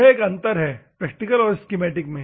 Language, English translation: Hindi, So, this is a difference between a practically and schematically